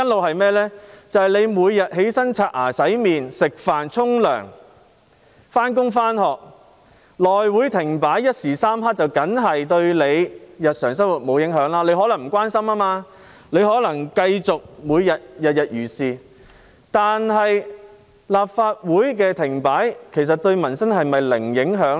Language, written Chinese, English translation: Cantonese, 大家每天起床、刷牙、洗臉、吃飯、洗澡、上班、上課，內務委員會停擺一時三刻，固然不會影響市民的日常生活，有些人可能不關心政事，繼續每天如常生活，但立法會停擺對民生是否真的零影響呢？, The daily life of the public will not be affected when the House Committee comes to a standstill for a short period of time . Some people may not care about politics and they continue to live their normal life every day . But does a standstill of the Legislative Council really have zero impact on peoples livelihood?